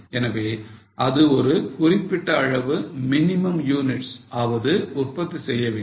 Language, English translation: Tamil, So, it has to produce certain minimum units